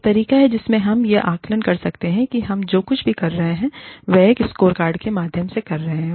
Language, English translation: Hindi, One way in which, we can assess, whatever we are doing, whatever people are doing, is by way of a scorecard